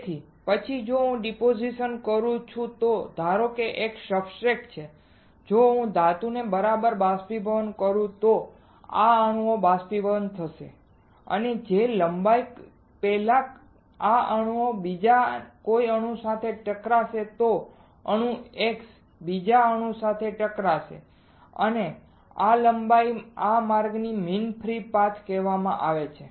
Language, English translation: Gujarati, So, then if I deposit suppose this is a substrate if I evaporate the metal right then this atoms will get evaporated and the length before which this atom will collide with some another atom this atom x will collide with some another atom y right this length this path is called mean free path